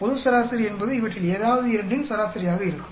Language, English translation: Tamil, The global average will be average of any two of these